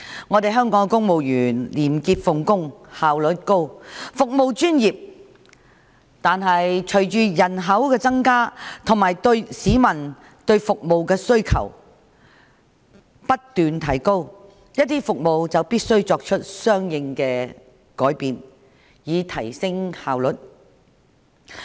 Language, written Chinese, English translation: Cantonese, 儘管香港公務員廉潔奉公、效率高、服務專業，但隨着人口增加及市民對服務的需求不斷提高，一些服務就必須作出相應的改變，以提升效率。, In spite of their high integrity and probity high efficiency and professionalism changes should be made to certain services accordingly in order to improve the efficiency in view of the growing population and the increasing demands from the public